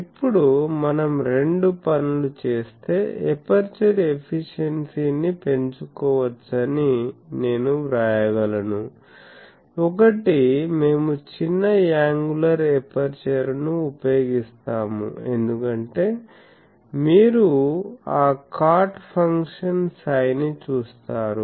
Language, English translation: Telugu, Now, I can write that aperture efficiency can be maximised if we do two things; one is that we use small angular aperture because you see that cot function psi